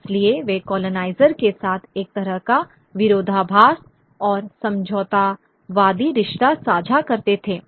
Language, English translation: Hindi, So they share a kind of contradiction and a compromising relationship with the colonizer